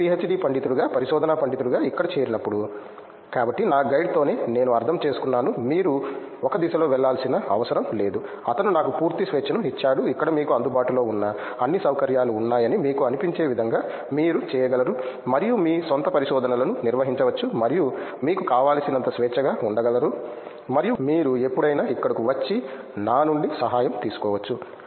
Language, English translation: Telugu, But while when I joined over here as a research scholar as a PhD scholar, so then it was with my guide that I understood that it’s not just like you have to be go in one direction, he gave me a complete freedom as you can do whatever you feel like you have all the facilities which are available over here and you can just manage your own research and be as free as you want and what whenever you face some difficulty you can come over here and then take help from me